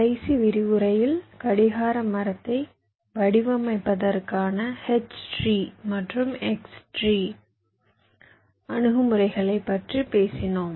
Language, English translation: Tamil, we recall, during our last lecture we talked about the h tree and x tree approaches for designing a clock tree